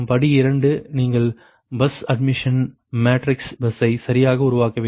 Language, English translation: Tamil, step two: you have to form the bus admission matrix, y bus, right